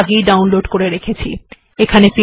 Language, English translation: Bengali, I have already downloaded it here